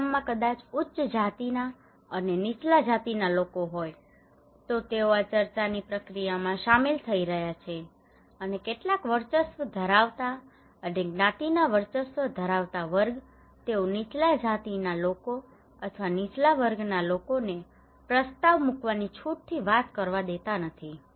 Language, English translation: Gujarati, In case of in a village maybe there are upper caste and lower caste people, they are involving into this process in discussions and some of the dominant caste dominant class, they do not allow the lower caste people or lower class people to talk freely to propose any new topic or to suggest any new strategies